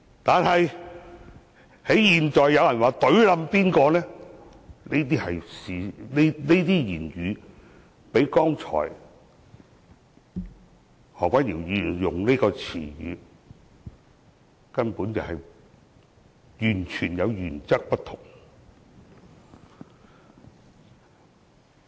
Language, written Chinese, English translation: Cantonese, 但是，現在有人說要"隊冧"誰，這用語較剛才提及何君堯議員所用的詞語的原則根本完全不同。, But now someone indicates to take somebody out . The rhetoric is totally different from the wording used by Dr Junius HO that I have mentioned just now